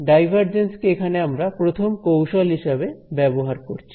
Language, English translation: Bengali, So, divergence is the first tool over here